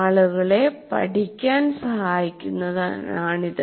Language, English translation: Malayalam, Is to help people learn